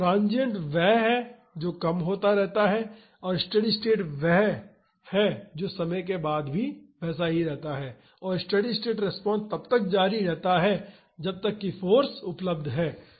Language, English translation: Hindi, Transient is the one which decays and steady state this what stays after some time and the steady state response continues as long as the force is available